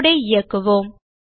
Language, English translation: Tamil, Let us run the code